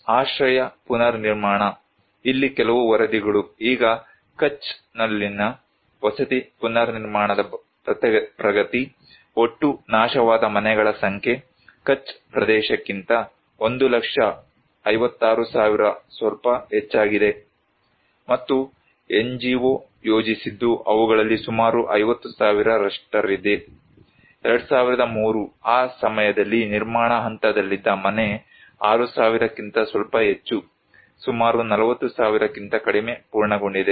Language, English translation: Kannada, Shelter reconstruction; some of the reports here; now, progress of housing reconstructions in Kutch, number of total destroyed houses was 1 lakh 56,000 little more than that in Kutch area, and that was planned by the NGO was around 50,000 among them, the under construction house right now that time 2003 was little more than 6000, completed almost 40,000 thousand little less than that